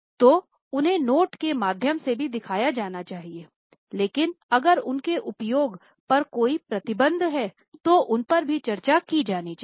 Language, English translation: Hindi, So, they should also be shown by way of note but if there are restrictions on use of them they should also be disclosed